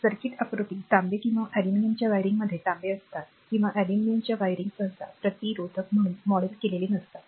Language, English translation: Marathi, In a circuit diagram copper or aluminum wiring is copper or aluminum wiring is not usually modeled as a resistor